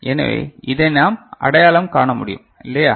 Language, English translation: Tamil, So, this is what we can identify, is not it